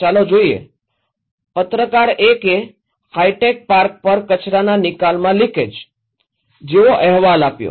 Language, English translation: Gujarati, Let’s look, journalist 1 reported like that “Leak in waste disposal at high tech Park”